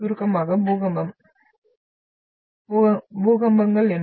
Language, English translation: Tamil, So earthquake in short, what are the earthquakes